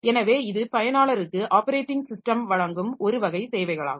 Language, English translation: Tamil, So, that is the, say one type of services that operating system will provide to the user